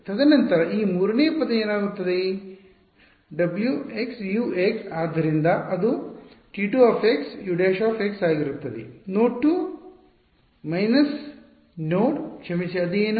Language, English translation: Kannada, And then this third term over here what happens, w x u x so it will be a minus w x is T 2 x u prime x at node 2 minus node sorry what will it be